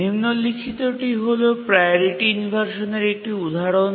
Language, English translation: Bengali, We just give an example of a priority inversion